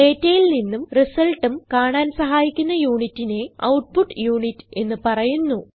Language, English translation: Malayalam, The unit that supports the process of producing results from the data, is the output unit